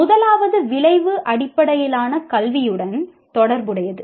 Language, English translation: Tamil, The first one is related to outcome based education